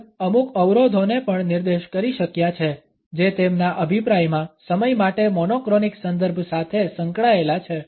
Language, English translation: Gujarati, Hall has also been able to point out certain constraints which are associated in his opinion with the monochronic reference for time